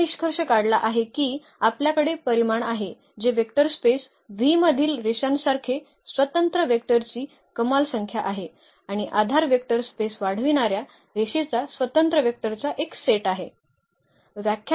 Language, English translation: Marathi, So, the conclusion is that we have the dimension which is the maximum number of linearly independent vectors in a vector space V and the basis is a set of linearly independent vectors that span the vector space